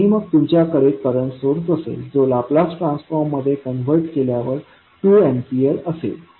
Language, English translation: Marathi, And then you have current source, another current source of value 2 delta t when you convert into Laplace or transform it will become 2 ampere